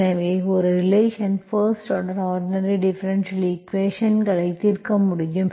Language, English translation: Tamil, So this is how you can solve a linear first order ordinary differential equations